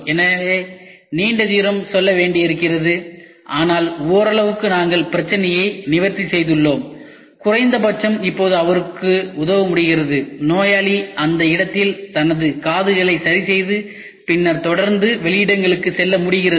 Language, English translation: Tamil, So, there is a long way to go, but partially we have addressed the problem and we are able to help him at least now the patient is able to fix his ears at the location and then keep going